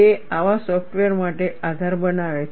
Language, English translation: Gujarati, It forms the basis, for such softwares